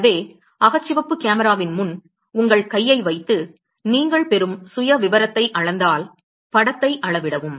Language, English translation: Tamil, So, if you place your hand in front of the infrared camera and you measure the profile that you will get, measure the image